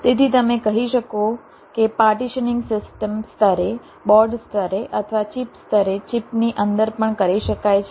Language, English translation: Gujarati, so you can say the partitioning can be done at the system level, at the board level, or even inside the chip, at the chip level